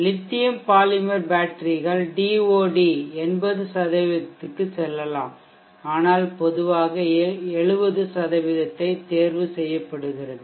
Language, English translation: Tamil, Lithium polymers batteries can go to 80% but normally 70% is set chosen